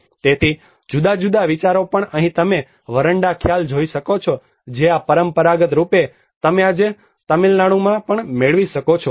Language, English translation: Gujarati, So different ideas but here you can see the veranda concept which is this traditionally you can find today in Tamil Nadu as well